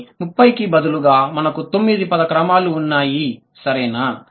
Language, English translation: Telugu, But instead of 30 we have nine possible word orders